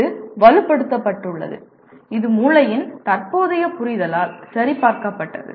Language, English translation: Tamil, This has been reinforced, this has been validated by the present understanding of the brain